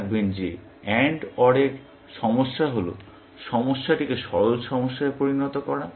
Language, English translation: Bengali, Remember that AND OR problem is, decomposing the problem into simpler problems